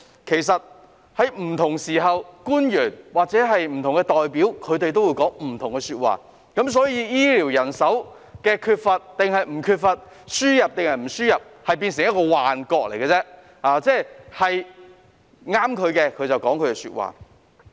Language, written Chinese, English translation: Cantonese, 其實，在不同時候，官員或不同代表也會講不同的說話，對於醫療人手是否缺乏、究竟應否輸入人手，這件事有如幻覺，他們只會按情況說他們想說的話。, In fact at different times government officials or different representatives will say different things . Whether we are lacking healthcare manpower and whether manpower should be imported is like an illusion . They will only say what they want to say depending on the situation